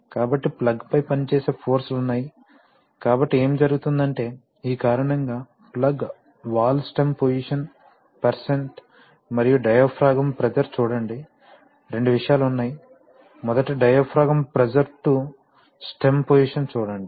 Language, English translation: Telugu, So there is a, so there are forces acting on the plug, so what happens is that because of this, the plug, the valve stem position percent and the diaphragm pressure, see, there are two things, firstly diaphragm pressure to stem position